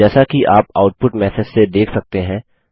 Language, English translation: Hindi, As you can see from the output message